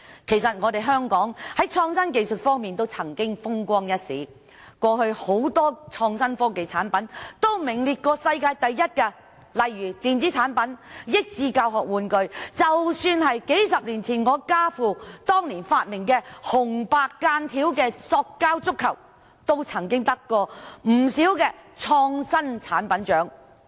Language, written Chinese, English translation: Cantonese, 其實香港在創新技術方面曾風光一時，過去很多創新科技產品均曾名列世界第一，例如電子產品和益智教學玩具；即使是數十年前，家父當年發明的紅白間條塑膠足球亦曾獲頒不少創新產品獎項。, As a matter of fact Hong Kong has had its day in terms of innovative technologies . In the past many products of innovation and technology for example electronic products and learning and educational toys ranked the first in the world . As early as a few decades ago the plastic football striped in red and white invented by my father was also awarded a number of prizes as an innovative product